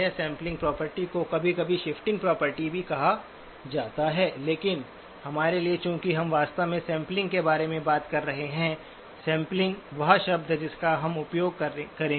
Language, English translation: Hindi, Sampling property sometimes also referred to as the sifting property, but for us since we are actually talking about sampling, sampling is the term that we will use